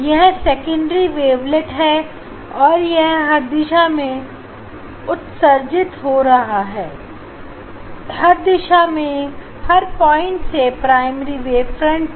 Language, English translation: Hindi, this is secondary wavelets, that is are emitted in all direction; in all direction from every point on the primary wave front